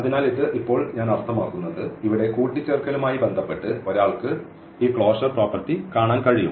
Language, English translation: Malayalam, So, how this is I mean now one can see this closure property with respect to the addition here